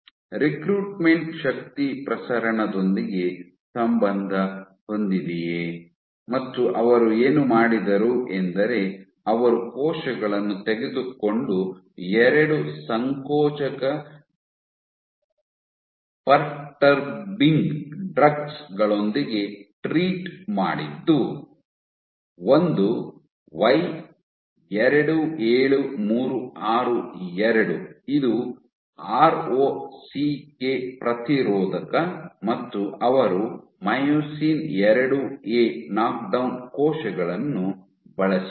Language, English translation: Kannada, Whether recruitment correlates with force transmission what they did was they took cells and treated with 2 contractility perturbing in drugs one is Y27362 which is the ROCK inhibitor and they used myosin IIA knockdown cells